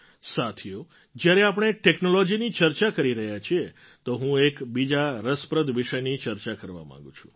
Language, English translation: Gujarati, Friends, while we are discussing technology I want to discuss of an interesting subject